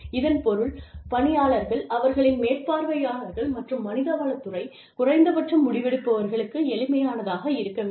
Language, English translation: Tamil, Which means, the employees, their supervisors, and the HR department, at the very least, the decision makers